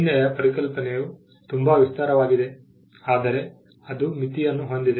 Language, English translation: Kannada, The concept of a sign is too broad, but it is not without limits